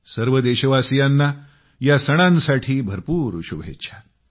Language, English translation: Marathi, I extend my best wishes to all countrymen for these festivals